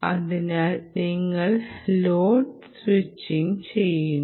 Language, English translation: Malayalam, so you do what is known as loads splitting